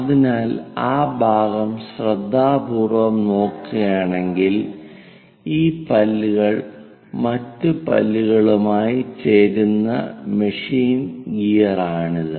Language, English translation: Malayalam, So, if we are looking at carefully, the machine gear where these teeth will be joining with the other teeth let us look at that part